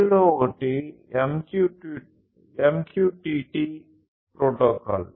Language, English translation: Telugu, So, this is how this MQTT protocol works